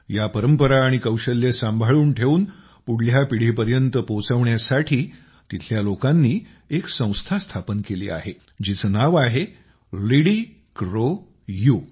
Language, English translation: Marathi, In order to save these traditions and skills and pass them on to the next generation, the people there have formed an organization, that's name is 'LidiCroU'